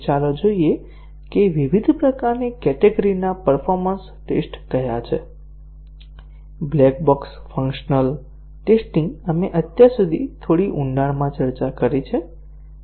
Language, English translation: Gujarati, So, let us see what are the different categories of performance tests that are done; The black box functional testing we have discussed so far in quite a bit of depth